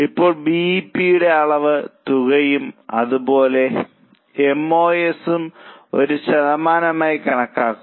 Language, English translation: Malayalam, Now compute BP quantity amount as well as MOS as a percentage